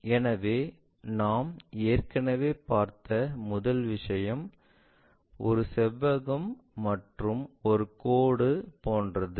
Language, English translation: Tamil, So, the first thing we have already seen, something like a rectangle and a line